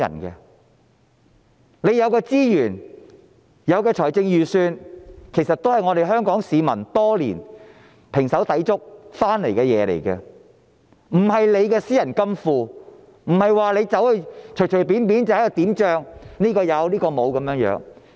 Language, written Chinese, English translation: Cantonese, 政府有的資源及財政儲備，是香港市民多年來胼手胝足得來的，不是官員的私人金庫，不是官員可任意決定這人有那人沒有。, The resources and fiscal reserves that the SAR Government are actually the fruit of labour of all Hong Kong people who have worked their fingers to the bone for years . This is not the private vault of the officials and not for those officials to arbitrarily decide who should have a share and who should not